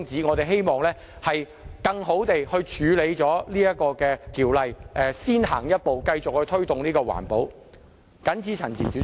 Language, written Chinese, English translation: Cantonese, 我們希望能更有效地處理《能源效益條例》，先行一步，繼續推動環保。, We hope that we can handle the Ordinance more effectively and go one step forward in promoting the work of environmental protection